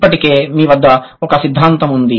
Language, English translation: Telugu, You already have a theory in hand